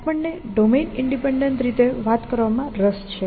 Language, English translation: Gujarati, We are interested in talking about domain independent fashions